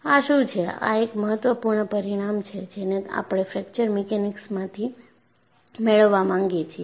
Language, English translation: Gujarati, And this is what, one of the important results that we want to get from fracture mechanics